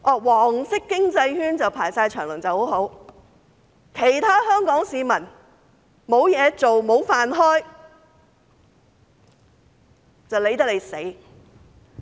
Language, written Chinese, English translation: Cantonese, "黃色經濟圈"大排長龍就很好，卻懶理其他香港市民沒有工作，無法維生。, As long as the yellow economic circle has long queues they do not care about other Hong Kong people who are jobless and cannot make a living